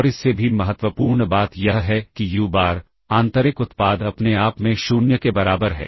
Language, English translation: Hindi, And more importantly and also uBar the inner product with itself equals 0, if and only if uBar as itself 0